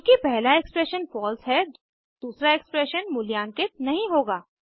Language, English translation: Hindi, Since the first expression is false, the second expression will not be evaluated